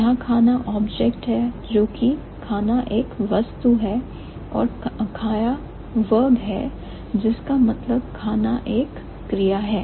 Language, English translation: Hindi, So, Kana is object, which is food, kaya is verb which means eat